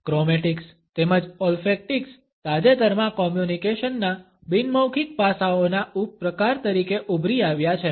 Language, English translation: Gujarati, Chromatics as well as Ofactics have recently emerged as subcategory of non verbal aspects of communication